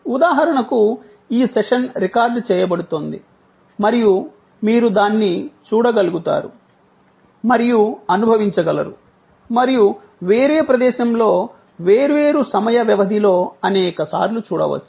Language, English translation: Telugu, Like for example, this session is being recorded and you would be able to see it and experience it and view it again and again, number of times, at a different place, different time frame